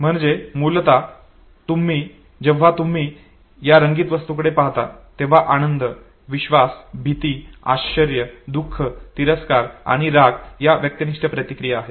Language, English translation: Marathi, So basically when you look at this colored object the subjective reactions you have joy, trust, fear, surprise, sadness, disgust and anger and these are considered to be the emotions